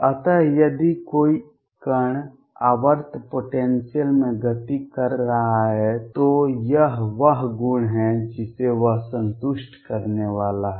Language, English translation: Hindi, So, if a particle is moving in a periodic potential this is the property that it is going to satisfy